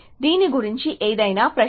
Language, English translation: Telugu, So, any question about this